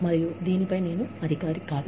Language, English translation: Telugu, And, I am not the authority, on this